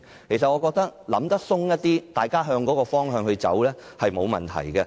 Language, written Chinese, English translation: Cantonese, 我認為，大家可以想得寬闊一點，向着同一個方向走，是沒有問題的。, In my opinion we can think more broadly and there will be no problem if we move in the same direction